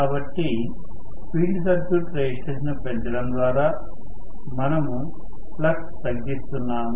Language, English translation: Telugu, So, increasing by increasing the field circuit resistance we are reducing the field flux